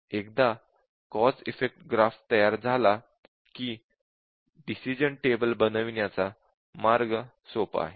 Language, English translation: Marathi, And once we have the cause effect graph, it is basically decision table based testing